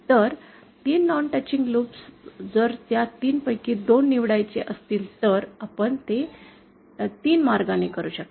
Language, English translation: Marathi, So, 3 non touching loops, if they want to choose any 2 of those 3, we can do that in 3 ways